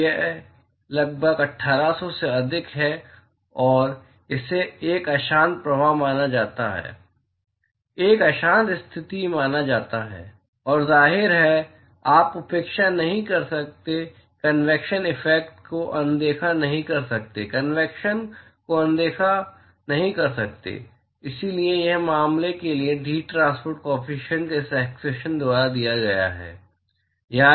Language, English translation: Hindi, And this is about greater than 1800 and considered to be a turbulent flow; considered to be a turbulent condition and; obviously, you cannot neglect cannot ignore convection effects cannot ignore convection and so, the heat transport coefficient for this case is given by this expression